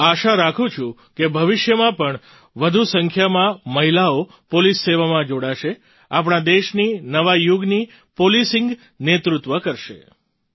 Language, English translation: Gujarati, I hope that more women will join the police service in future, lead the New Age Policing of our country